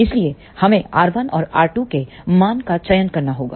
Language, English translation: Hindi, So, we have to choose the values of R 1 and R 2